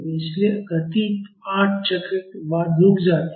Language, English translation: Hindi, So, therefore, the motion stops after 8 cycle